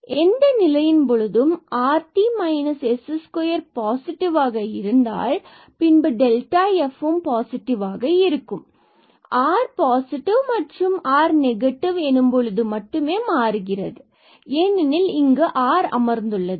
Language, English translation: Tamil, So, in any case whatever the situation is, if this rt minus s square is positive then, this delta f will be positive for r, positive and when r is negative just the sign will change because this r is sitting here; otherwise the rest everywhere we have the s square there